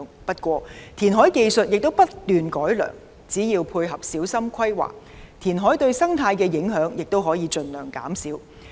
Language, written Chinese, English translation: Cantonese, 不過，填海技術不斷改良，只要配合小心規劃，填海對生態的影響亦可以盡量減少。, However the technologies of reclamation have been constantly improving . As long as it is planned carefully the impact of reclamation on marine ecology could be minimized